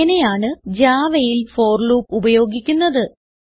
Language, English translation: Malayalam, In this tutorial, you will learn how to use the for loop in Java